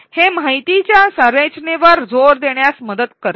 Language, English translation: Marathi, It helps to emphasize the structure of the information